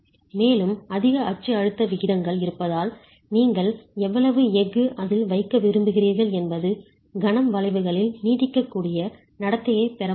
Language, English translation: Tamil, And because of the higher axial stress ratios, how much of a steel you want you put in there, you will not get ductile behavior in moment curvatures